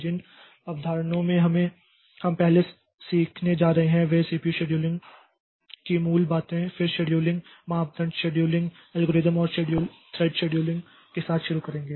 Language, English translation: Hindi, The concepts that we are going to cover first we'll start with the basics of this CPU scheduling, then the scheduling criteria, scheduling algorithms and thread scheduling